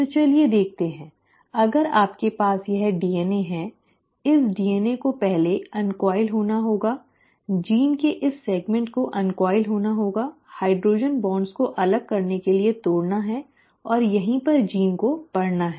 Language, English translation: Hindi, So let us see, if you were to have this DNA, okay, this DNA has to first uncoil, this segment of the gene has to uncoil, the hydrogen bonds have to be broken to set apart and this is where the gene has to read